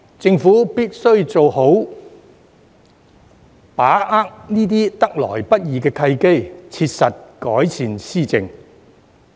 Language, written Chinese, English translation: Cantonese, 政府必須好好把握這些得來不易的契機，切實改善施政。, The Government must make good use of these hard - won opportunities to seriously improve governance